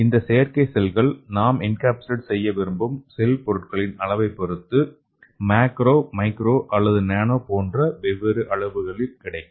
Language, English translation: Tamil, So these artificial cells are available in various dimensions, it can be macro or micro or nano, it depends on the cellular content which you want to encapsulate into artificial cells